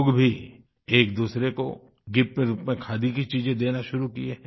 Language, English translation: Hindi, Even people have started exchanging Khadi items as gifts